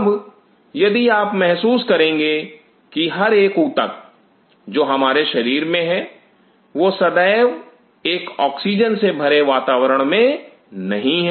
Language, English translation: Hindi, Now, if you realize each one of these tissues which are there in our body, they are not continuously in an oxygenated environment